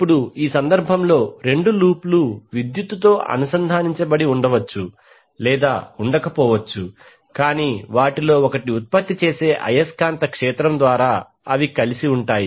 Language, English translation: Telugu, Now in this case we will see when the two loops which may be or may not be connected electrically but they are coupled together through the magnetic field generated by one of them